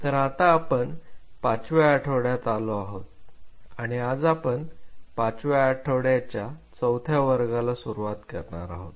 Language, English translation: Marathi, So, we are on the fifth week and today we are initiating the fourth class of the fifth week